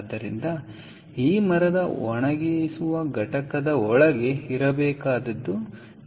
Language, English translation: Kannada, so what needs to be inside this timber drying unit is this